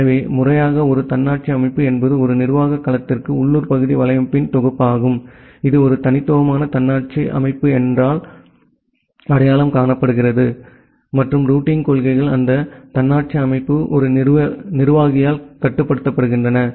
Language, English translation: Tamil, So, formally an autonomous system is a set of local area network for an administrative domain, identified by a unique autonomous system number and the routing policies are inside that autonomous system are controlled by a single administrator